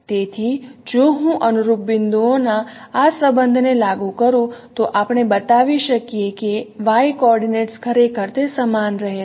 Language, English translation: Gujarati, So if I apply this, no relationship of corresponding points, then we can show that the y coordinates actually they remain the same